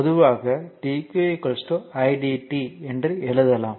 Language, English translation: Tamil, So, in general we can write that dq is equal to i dt